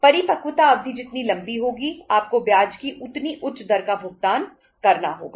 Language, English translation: Hindi, Longer the maturity period, you have to pay the higher rate of interest